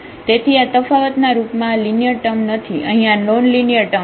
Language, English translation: Gujarati, So, then this is not the linear term in terms of this difference it is a non linear term here